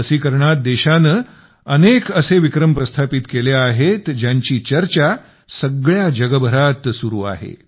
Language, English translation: Marathi, With regards to Vaccination, the country has made many such records which are being talked about the world over